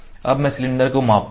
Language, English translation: Hindi, Now, I will measure the cylinder